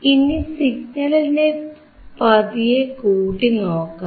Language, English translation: Malayalam, Now, let us increase the signal slowly